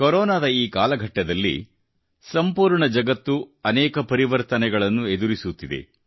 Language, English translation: Kannada, During this ongoing period of Corona, the whole world is going through numerous phases of transformation